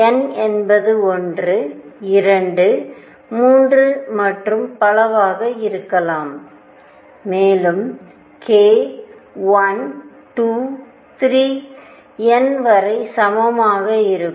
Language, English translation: Tamil, And n could be anything n could be 1, 2, 3 and so on, and k would be equal to either 1, 2, 3 all the way up to n